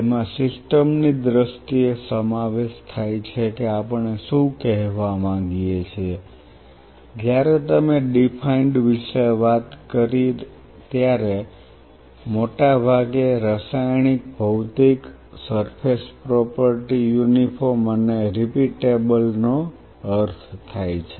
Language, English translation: Gujarati, Which includes in terms of the system what we meant is we said defined when you talked about defined we mostly mean Chemically, Physically, Surface Property Uniform and Repeatable